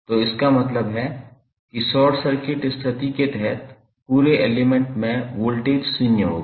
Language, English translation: Hindi, So, it means that under short circuit condition the voltage across the element would be zero